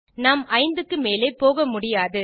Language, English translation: Tamil, I cannot go beyond 5